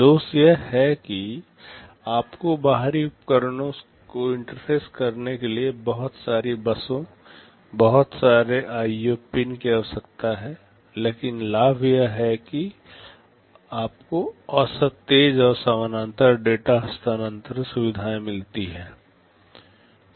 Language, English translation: Hindi, The drawback is that you need so many buses, lot of IO pins to interface the external devices, but the advantage is that you get on the average faster and parallel data transfer features